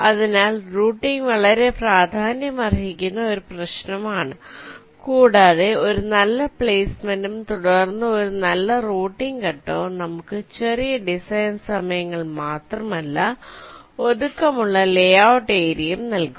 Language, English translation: Malayalam, so routing is an issue which needs to be given utmost importance, and a good placement followed by a good routing step will give us not only smaller design times but also compact layout area